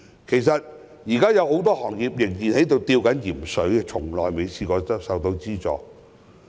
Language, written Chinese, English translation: Cantonese, 其實，現在還有很多行業仍在"吊鹽水"，卻從未獲得資助。, In fact many industries are still hanging by a thread but have never received any subsidy